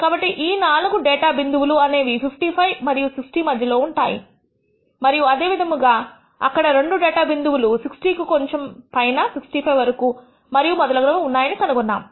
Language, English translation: Telugu, So, the 4 data points lying between 55 and 60 and similarly we find there are two data points lying just above 60 and up to 65 and so on, so forth